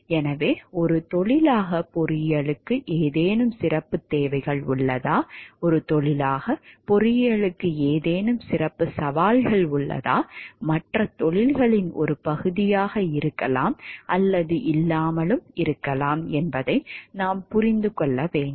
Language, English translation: Tamil, So, that we can understand if there are any special requirements for engineering as a profession, if there are any special challenges of engineering as a profession, which may or may not be a part of other professions